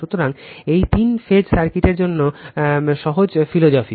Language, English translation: Bengali, So, this is the simple philosophy for three phase circuit